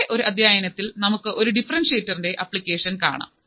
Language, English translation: Malayalam, And then in another module, we will see application of an differentiator